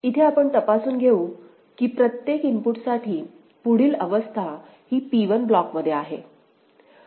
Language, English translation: Marathi, So, next we examine; next we examine if for each input next state lie in single block of P1 right